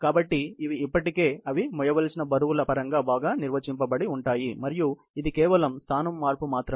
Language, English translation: Telugu, So, these are already well defined in terms of the weights that they would have to carry and it is merely, a location change